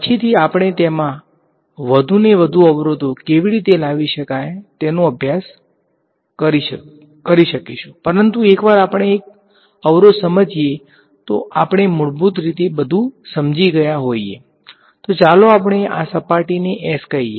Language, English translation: Gujarati, Later on we can study how to make more bring more and more obstacles in to it, but once we understand one obstacle we basically would have understood everything else let us call this surface S over here ok